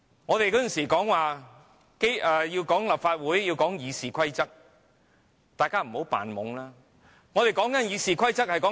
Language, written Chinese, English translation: Cantonese, 我們以往說立法會要遵守《議事規則》，請大家不要扮傻，我們說的是英國的《議事規則》。, We used to say that the Legislative Council should abide by RoP . Please do not pretend to be foolish . We were talking about the Standing Orders in the United Kingdom where every member of the House of Commons are returned by election